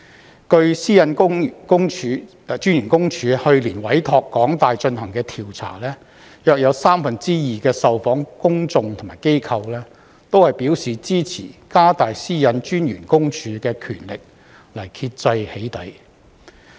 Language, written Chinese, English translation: Cantonese, 根據個人資料私隱專員公署去年委託香港大學進行的調查，約有三分之二的受訪公眾和機構都表示支持加大私隱公署的權力來遏制"起底"。, According to a survey conducted by the University of Hong Kong and commissioned by the Office of the Privacy Commissioner for Personal Data PCPD last year about two thirds of the people and organizations surveyed supported increasing the power of the PCPD to curb doxxing